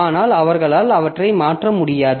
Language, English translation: Tamil, But the, they cannot modify them